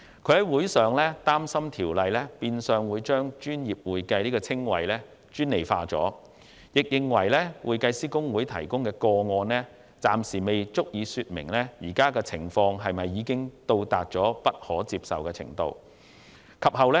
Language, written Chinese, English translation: Cantonese, 他擔心，《條例草案》變相將"專業會計"這個稱謂專利化，並認為香港會計師公會提供的個案，暫時不足以證明目前的情況已達到不可接受的程度。, He is worried that the Bill will have the effect of monopolizing the use of the description professional accounting and judging from the number of cases mentioned by the Hong Kong Institute of Certified Public Accountants HKICPA he thinks that there is not enough evidence to indicate that the current situation has reached an unacceptable level